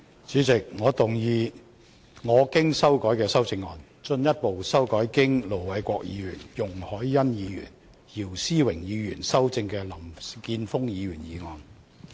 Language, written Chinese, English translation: Cantonese, 主席，我動議我經修改的修正案，進一步修正經盧偉國議員、容海恩議員及姚思榮議員修正的林健鋒議員議案。, President I move that Mr Jeffrey LAMs motion as amended by Ir Dr LO Wai - kwok Ms YUNG Hoi - yan and Mr YIU Si - wing be further amended by my revised amendment